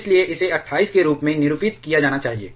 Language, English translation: Hindi, So, it should be denoted as 28